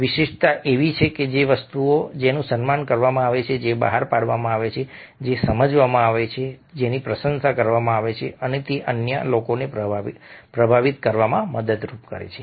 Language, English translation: Gujarati, uniqueness is something which is cherished, which is released, which is understood and appreciated, and it helps influence other people